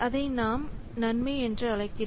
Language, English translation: Tamil, So that we call as the benefit